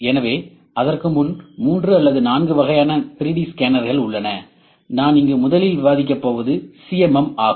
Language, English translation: Tamil, So, before that therefore 3 or 4 types of 3D scanners, number one that I am going discuss here is CMM